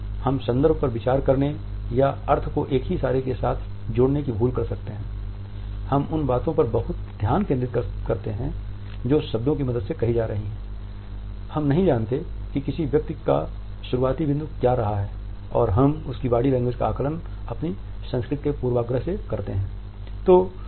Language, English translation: Hindi, We may forget to consider the context or associate the meaning with a single gesture, we focus too much on what is being said with the help of words we do not know what has been the starting point of a person and we just the body language of another person through the bias of one’s own culture